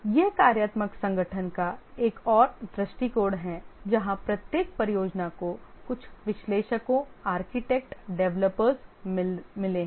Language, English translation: Hindi, This is another view of the functional organization where each project has got some analysts, architects, developers, and they have two reporting